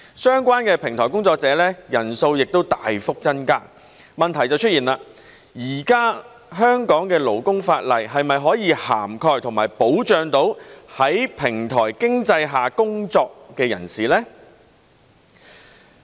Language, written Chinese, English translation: Cantonese, 相關的平台工作者人數大幅增加，問題便出現了，現時香港的勞工法例是否涵蓋和可否保障到在平台經濟下工作的人士呢？, The drastic increase in the number of platform workers has given rise to one question Can the existing labour legislation in Hong Kong cover and protect workers of the platform economy?